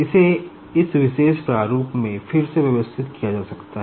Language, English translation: Hindi, So, it can be rearranged in this particular the format